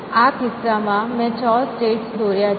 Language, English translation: Gujarati, So, in this case I have drawn 6 states